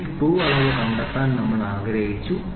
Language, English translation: Malayalam, So, this screw we wanted to find out the dimension of a screw, ok